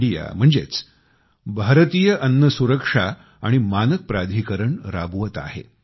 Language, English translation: Marathi, I viz Food Safety and Standard Authority of India